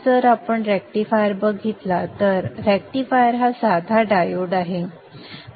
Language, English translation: Marathi, If you look at the rectifier, rectifier is nothing but a simple diode